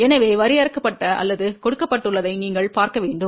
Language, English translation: Tamil, So, you have to see what has been defined or given